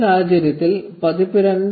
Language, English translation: Malayalam, So, in this case, since version 2